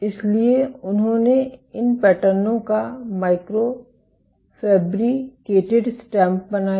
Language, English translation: Hindi, So, they created these patterns is micro fabricated stamps